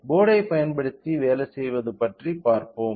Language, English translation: Tamil, Let us see about the working using in the board